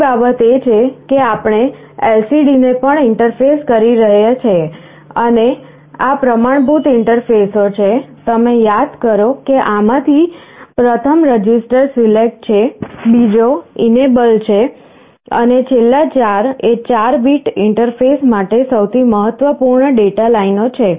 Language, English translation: Gujarati, The other thing to note is that we have also interfaced an LCD and these are the standard interfaces, you recall the first of these is register select, second one is enable, and last 4 are the most significant data lines for 4 bit interface